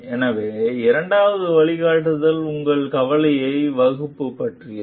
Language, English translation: Tamil, So, the second guideline is about formulating your concern